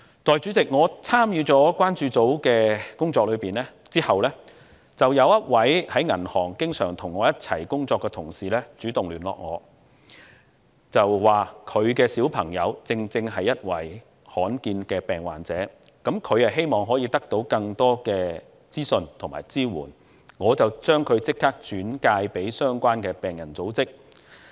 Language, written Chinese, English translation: Cantonese, 代理主席，我參與了關注組的工作後，當中有一位於銀行界經常與我一起工作的同事主動與我聯絡，他的小孩正是罕見疾病患者，他希望得到更多資訊及支援，我便立即將他的小孩轉介至相關的病人組織。, Deputy President after joining the work of the Concern Group one of my colleagues who used to work with me in the banking sector contacted me . Since his child is a rare disease patient he wants to obtain more information and support and I immediately refer the case of his child to the relevant patient group